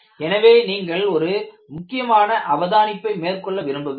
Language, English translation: Tamil, So, I want you to make an important observation